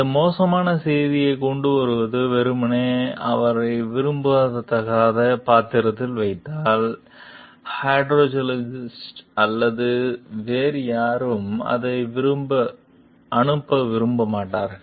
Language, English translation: Tamil, If bringing this bad news simply puts her in an unwelcome role, neither the hydrologist nor anyone else will want to pass it on